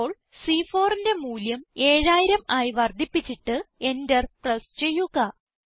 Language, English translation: Malayalam, Now, let us increase the value in cell C4 to 7000 and press the Enter key